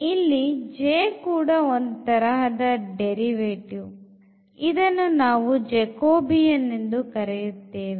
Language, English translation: Kannada, So, the way this J is again kind of derivative which we call Jacobian